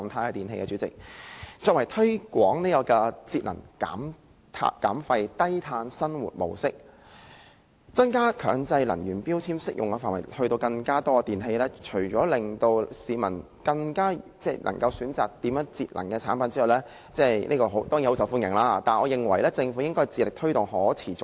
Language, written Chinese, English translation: Cantonese, 我認為政府除了推廣節能減廢、低碳生活模式，把強制性標籤計劃的適用範圍擴大至更多電器，令市民能選擇節能的產品——這當然很受歡迎——我認為政府還應致力推動可持續消費。, Apart from promoting energy saving waste reduction and a low - carbon lifestyle and extending the scope of MEELS to cover more electrical appliances so that the public can choose energy - saving products―which is certainly a much - welcome initiative―I think the Government should also try its best to promote sustainable consumption